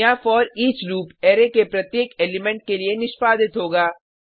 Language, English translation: Hindi, Here, foreach loop will be executed for each element of an array